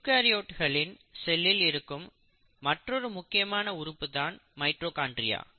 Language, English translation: Tamil, Now let us come to another very important organelle which is present in eukaryotic cell and that is the mitochondria